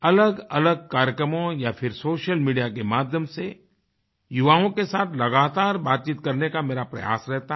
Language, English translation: Hindi, My effort is to have a continuous dialogue with the youth in various programmes or through social media